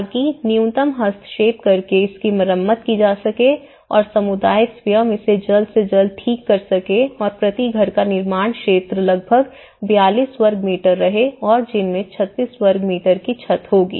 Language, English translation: Hindi, So that it could be repaired by minimal interventions and the community themselves can repair it as quickly as possible and the constructed area per house was about 42 square meter and 36 of which would be roof